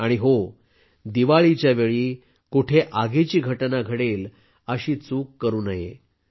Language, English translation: Marathi, And yes, at the time of Diwali, no such mistake should be made that any incidents of fire may occur